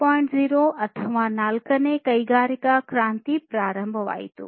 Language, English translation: Kannada, 0 or fourth industrial revolution